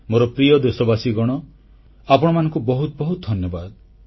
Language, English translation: Odia, My dear countrymen, many thanks to you all